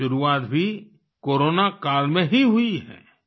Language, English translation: Hindi, This endeavour also began in the Corona period itself